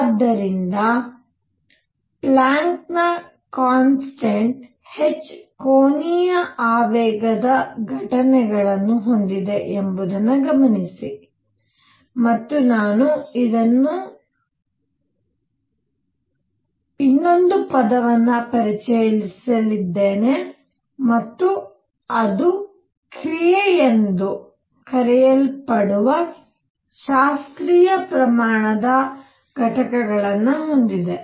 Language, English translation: Kannada, So, for this observe that the Planck’s constant h has units of angular momentum, and I am actually going to introduce one more word and that is it has units of a classical quantity called action